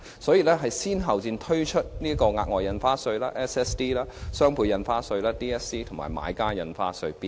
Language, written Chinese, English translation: Cantonese, 為此當局先後推出額外印花稅、雙倍印花稅及買家印花稅。, To this end it had introduced at different times the Special Stamp Duty the Doubled Ad Valorem Stamp Duty and the Buyers Stamp Duty